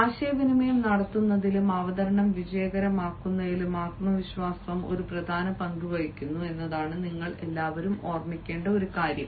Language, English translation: Malayalam, one thing that all of you should remember is: ah, confidence plays a vital role in making communication or in making a presentation successful